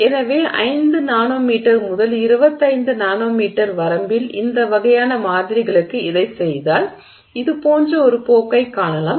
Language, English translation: Tamil, So, if you do this for these kinds of samples in the 5 nanometer to 25 nanometer range, you see a trend that looks like this